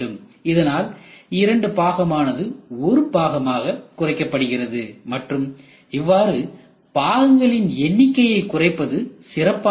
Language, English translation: Tamil, So, two parts is reduced into one and if you can reduce the number of parts it is well and good